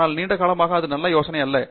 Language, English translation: Tamil, But, in the long run that is not a good idea